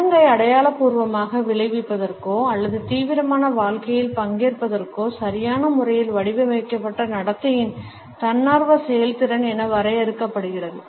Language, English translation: Tamil, Ritual can be defined as a voluntary performance of appropriately patterned behaviour to symbolically effect or participate in the serious life